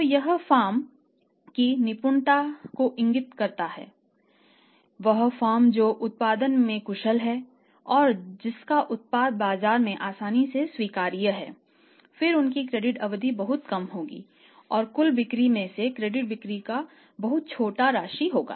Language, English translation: Hindi, So, that indicates the efficiency of the firm, the firm who is efficient in the production whose product is easily acceptable in the market and who is able to pass on the product on their terms to the customers their credit period will be very, very short and the total sales or the credit sales out of the total sales will also be a very small amounts